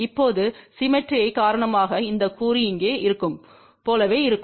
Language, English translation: Tamil, Now, because of the symmetry this component will be same as here this component will be same as here